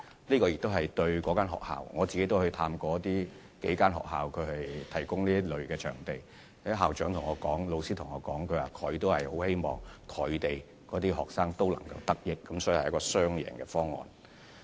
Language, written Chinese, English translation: Cantonese, 我也曾探訪過數間提供這類場地的學校，這些學校的校長和老師向我表示，他們也希望學生可以得益，所以這是一個雙贏方案。, I have visited several schools which provide such venues . I have been told by their principals and teachers that they hope their students can be benefited as well . Hence this is a win - win proposal